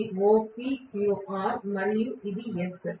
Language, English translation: Telugu, If I say this is OPQR and then this is S